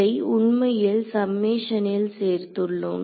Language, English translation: Tamil, It is included in the summation actually